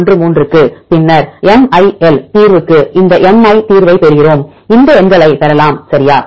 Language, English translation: Tamil, 013, then we get this mI solution to solution MIL we can get this numbers right